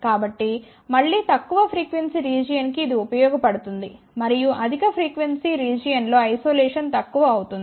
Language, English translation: Telugu, So, again this is useful for the lower frequency region and isolation becomes poorer in the higher frequency region